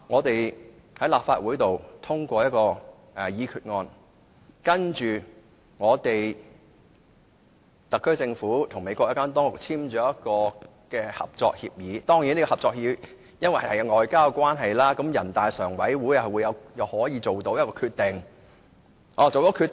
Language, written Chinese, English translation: Cantonese, 首先，立法會通過一項決議案，然後由特區政府和美國有關當局簽訂合作協議，由於合作協議屬於外交事務，人大常委會可以作出決定。, First of all the Legislative Council has to pass a resolution and then a cooperation agreement shall be signed between the SAR Government and the relevant authorities in the United States . Given that the cooperation agreement is considered to fall into the scope of foreign affairs a decision can be made by NPCSC